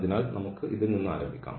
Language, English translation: Malayalam, So, let us just start with this one